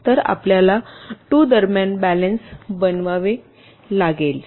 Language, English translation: Marathi, so you have to make a balance between the two